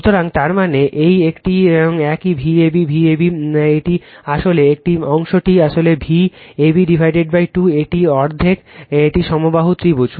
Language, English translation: Bengali, So, that means, this one this V ab right, V ab this is actually this portion actually V ab by 2 it is half it is equilateral triangle